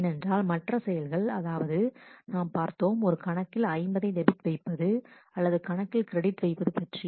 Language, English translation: Tamil, Because other operations like we saw an operation where an account is debited by 50 or account is credited